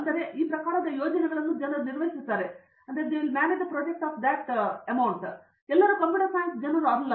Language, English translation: Kannada, So these types of projects people are handled and all of them are non computer science people